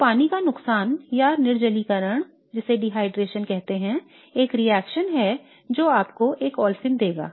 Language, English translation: Hindi, So loss of water or dehydration is a reaction which will give you an olefin in this case